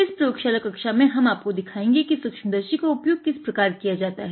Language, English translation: Hindi, In this lab class, we will be showing it to you how to operate a microscope and look at various sensors using the microscope, all right